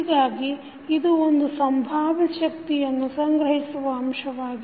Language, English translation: Kannada, So, it is considered to be an element that stores potential energy